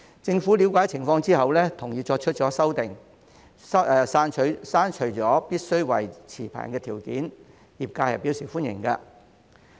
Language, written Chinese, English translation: Cantonese, 政府了解情況之後，同意作出修訂，刪除了必須為持牌人的條件，業界對此表示歡迎。, After looking into the situation the Government agreed to make an amendment by removing the requirement of being licence holders . The industry welcomes this amendment